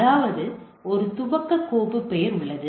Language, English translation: Tamil, That means what we are and there is a boot filename